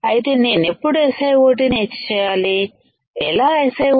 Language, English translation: Telugu, So, when I etch SiO 2 how can I etch SiO 2